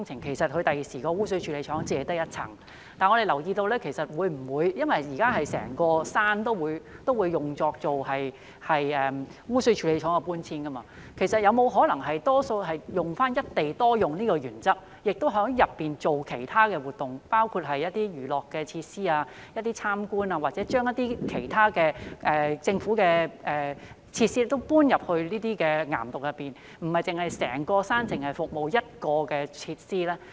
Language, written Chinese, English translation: Cantonese, 其實未來污水處理廠只有一層，但我們留意到，因為現時整座山都會用作污水處理廠的搬遷，其實有沒有可能使用"一地多用"的原則，在當中做其他活動，包括娛樂設施、開放參觀或把政府的其他設施搬進岩洞，讓整座山不止服務一種設施？, In fact the future sewage treatment works will only occupy one floor but we notice that the entire hill will be used for the relocation of the sewage treatment works so is it possible to apply the principle of single site multiple uses to allow other activities in the caverns including recreational facilities public visits or relocation of other government facilities to the caverns so that the hill as a whole can accommodate more than one type of facilities?